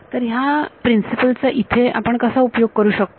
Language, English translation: Marathi, So, how will apply this principle here